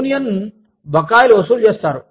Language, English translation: Telugu, Union dues are collected